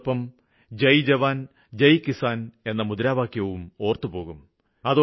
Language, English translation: Malayalam, It is also but natural that we remember his slogan 'Jai Jawan Jai Kisan'